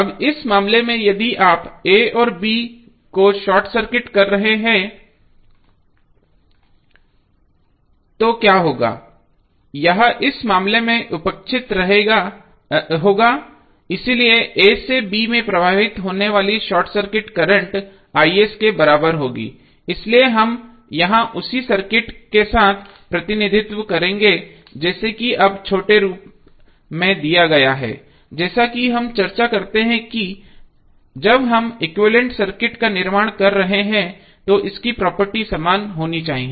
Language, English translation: Hindi, Suppose if it is Isc so what would be the value of Isc, Isc would be simply, Vs by R now in this case if you are short circuiting a and b what will happen, this will be in that case neglected so the current flowing short circuit current flowing from a to b would be c us equal to Is so here we will represent with the same circuit like is given in small form so now, as we discuss that when we are creating the equivalent circuit its property should remain same